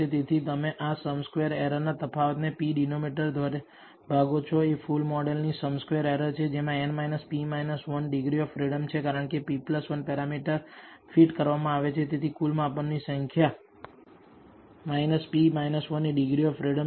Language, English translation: Gujarati, So, you divide this difference in the sum squared errors by p denominator is the sum squared errors of the full model which contains n minus p minus 1 degrees of freedom because p plus 1 parameters have been fitted therefore, the degrees of freedom is the total number of measurements minus p minus 1